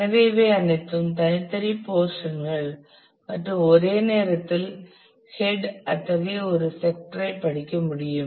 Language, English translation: Tamil, So, these are these are all separate portions and you can at a time the head can read one such sector